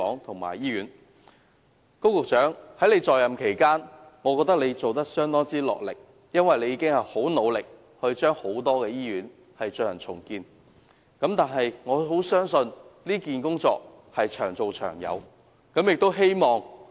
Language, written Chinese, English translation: Cantonese, 高局長，我覺得你在任期間相當落力，因為你已很努力地令多間醫院進行重建，但我相信這項工作是長做長有的。, Secretary Dr KO I think you have made a great effort during your tenure because you have worked very hard to enable the redevelopment of a number of hospitals . However I believe this is a long - term task